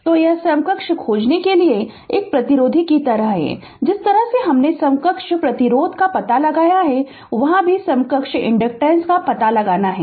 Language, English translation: Hindi, So, it is like a resistor you have to find out equivalent, the way we have found out equivalent resistance there also you have to find out equivalent inductance